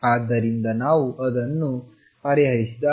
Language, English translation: Kannada, So, when we solve it